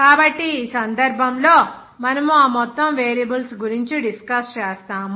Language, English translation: Telugu, So, in this case, we will discuss those entire variables